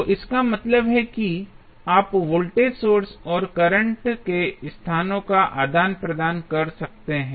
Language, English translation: Hindi, So, that means that you can exchange the locations of Voltage source and the current